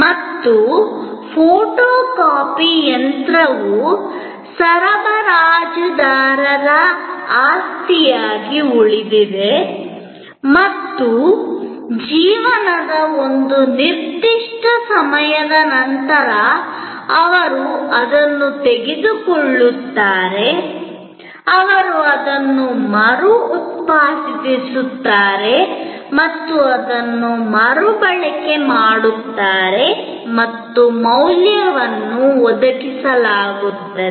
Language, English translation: Kannada, And the photocopy machine remains the property of the supplier and after a certain time of life, they take it, they remanufacture it, and reuse it and the value is provided